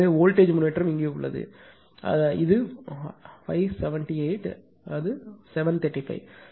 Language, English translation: Tamil, So, voltage improvement is here because it is 578; it is 735 right